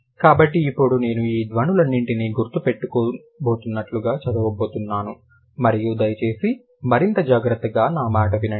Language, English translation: Telugu, So, now I am going to read like I am going to mark all of these sounds and then please listen to me more carefully